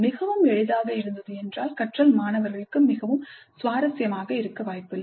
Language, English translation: Tamil, If it is too easy the learning is not likely to be really interesting for the students